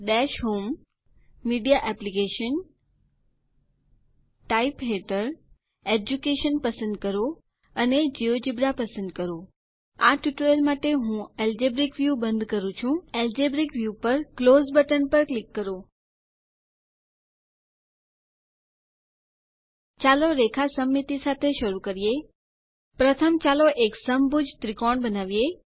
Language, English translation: Gujarati, Lets Switch to GeoGebra window Look on Dash home gtgtMedia AppsgtgtUnder Type gtgtChoose Educationgtgt and Geogebra For this tutorial I am closing the Algebric view Click on Close button on Algebric view Lets start with Line of symmetry First lets construct an equilateral triangle